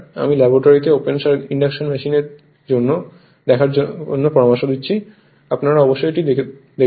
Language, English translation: Bengali, I suggest in your laboratory see the open induction machine, definitely it will be there right